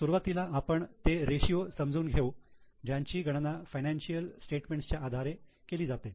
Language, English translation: Marathi, But here we are going to discuss mainly the ratios which are calculated from financial statements